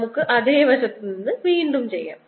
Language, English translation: Malayalam, let's do it again from the same side